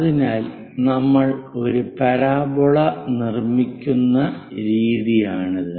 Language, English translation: Malayalam, So, 1, this is the way we construct a parabola